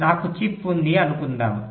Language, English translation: Telugu, let say so, i have a chip